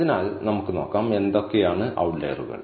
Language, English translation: Malayalam, So, let us see, what outliers are